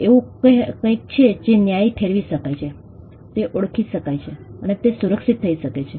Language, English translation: Gujarati, It is something that can be justified, that can be recognized, and that can be protected